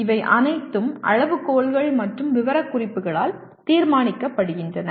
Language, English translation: Tamil, these are all decided by the criteria and specifications